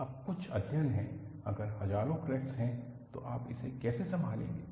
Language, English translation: Hindi, Now, there are studies, if there are thousands of cracks, how you can handle it